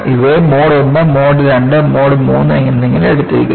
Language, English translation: Malayalam, And, these are labeled as Mode I, Mode II and Mode III